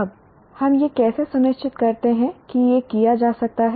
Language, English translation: Hindi, Now how do we ensure that this can be done